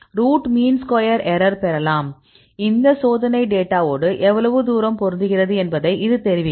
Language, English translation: Tamil, So, you can get the root mean square error; this will tell you how far your method could fits well with this experimental data